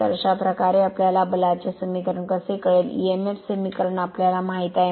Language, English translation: Marathi, So, this way will we know the force equation, we know the emf equation right everything we know